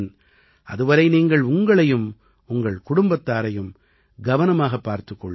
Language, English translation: Tamil, Till then please take care of yourself and your family as well